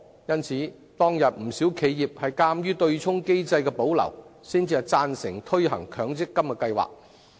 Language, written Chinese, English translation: Cantonese, 當時不少企業鑒於對沖機制得以保留，才會贊成推行強積金計劃。, Back then many enterprises supported the implementation of the MPF System only because the offsetting mechanism could be maintained